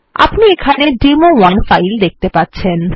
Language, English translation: Bengali, And as you can see the demo1 file is there